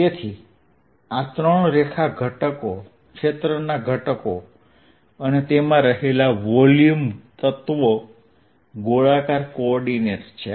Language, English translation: Gujarati, alright, so this is the three line elements, area elements and volume elements in its spherical coordinates